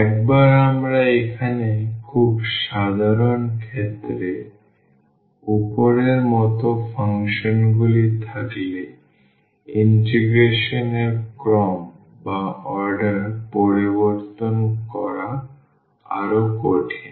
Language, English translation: Bengali, Once we have the functions here as above in a very general case then we have to be or it is more difficult to change the order of integration